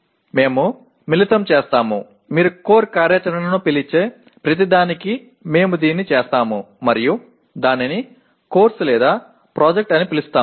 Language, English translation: Telugu, We combine, we do this for every what do you call core activity and call it course or project